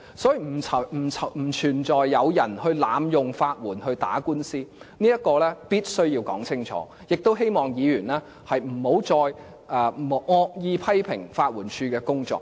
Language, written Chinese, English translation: Cantonese, 所以，不存在有人濫用法援打官司的問題，這一點是必須說清楚的，也希望議員不要再惡意批評法援署的工作。, Therefore the issue of abuse by some people who misused legal aid to file lawsuits does not exist . This point must be clearly stated and I hope Members will drop their malicious criticisms against the work of the LAD